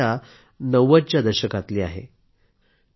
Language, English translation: Marathi, This problem pertains to the 90s